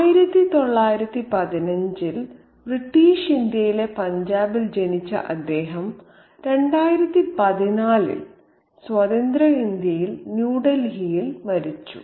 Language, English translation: Malayalam, He was born in Punjab in British India in 1915 and he died in 2014 in Free India in New Delhi